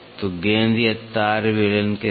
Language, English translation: Hindi, So, with the ball or a wire cylinder